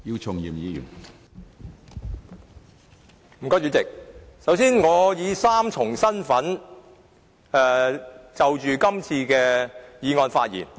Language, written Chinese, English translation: Cantonese, 主席，首先，我以三重身份就今次的議案發言。, President first of all I am speaking on todays motion in three capacities